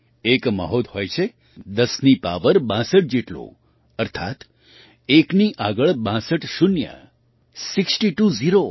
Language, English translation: Gujarati, There is a Mahogha 10 to the power of 62, that is, 62 zeros next to one